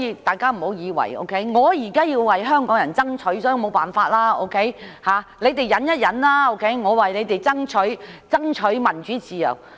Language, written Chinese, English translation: Cantonese, 大家不要認為︰我們現在要為香港人爭取民主自由，所以沒有辦法，你們先忍一忍，我們是為你們爭取民主自由。, Please do not think in this way We are now fighting for democracy and freedom for Hong Kong people so there is no choice you have to bear with it for a while as we are fighting for democracy and freedom for you